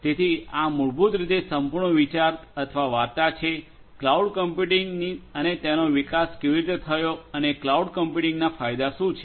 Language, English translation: Gujarati, So, this is basically the whole idea or the story of cloud computing and how it evolved and what are the benefits of cloud computing